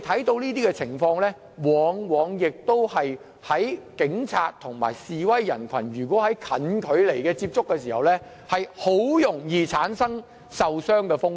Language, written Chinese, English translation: Cantonese, 這些情況往往是在警察與示威人群近距離接觸時發生，很容易造成受傷風險。, These often took place when policemen and protesters were in close - range contact which would give rise to risks of injuries easily